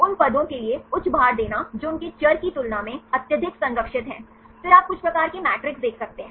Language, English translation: Hindi, Giving high weightage for the positions which are highly conserved than their variable, then you can see some type of matrices